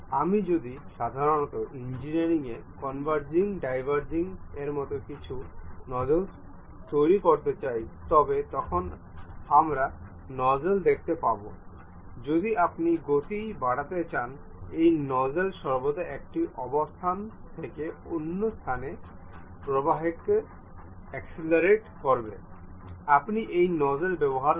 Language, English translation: Bengali, If I would like to construct a converging diverging kind of nozzles, typically in engineering, we see nozzles, these nozzles always be to accelerate the flow from one location to other location if you want to increase the speed, you use these nozzles